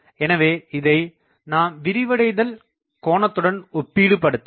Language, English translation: Tamil, So, I will have to relate it with the flare angle